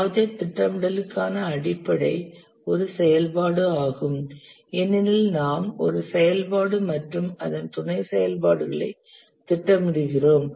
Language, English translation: Tamil, The basic to project scheduling is an activity because we schedule an activity and its sub activities